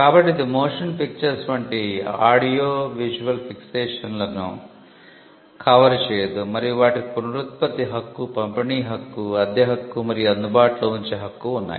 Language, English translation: Telugu, So, which means it does not cover audio visual fixations such as motion pictures and they have a right of reproduction, right of a distribution, right of rental and right of making available